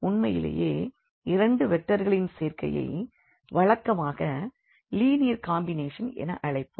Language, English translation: Tamil, So, certainly by any combination of these two vectors or rather we usually call it linear combination